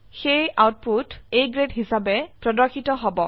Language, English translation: Assamese, So the output will be displayed as A Grade